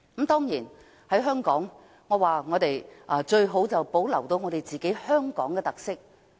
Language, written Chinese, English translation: Cantonese, 當然，香港最好是能夠保留本身的特色。, Of course it would be best for Hong Kong to preserve its own characteristics